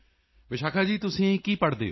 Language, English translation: Punjabi, Vishakha ji, what do you study